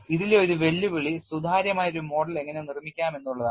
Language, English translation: Malayalam, And one of the challengers in this is how to make a model which is transparent enough